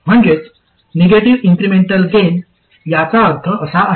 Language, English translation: Marathi, So that is the meaning of negative incremental gain